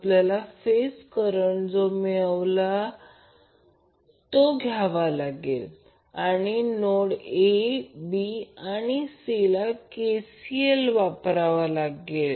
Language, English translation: Marathi, We have to take the phase current which we derived and apply KCL at the notes A, b and C